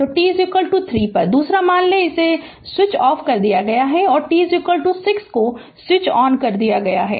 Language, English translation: Hindi, So, at t is equal to 3, second say it is switched off switched on and t is equal to 6 it is switched off